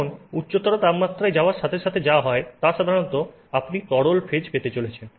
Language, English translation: Bengali, Now, what happens is generally as you go to higher temperatures you are going to have the liquid phase